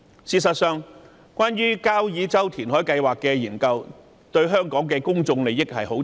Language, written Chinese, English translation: Cantonese, 事實上，交椅洲填海計劃的研究牽涉香港重大的公眾利益。, The study of reclamation at Kau Yi Chau is actually very important to the people of Hong Kong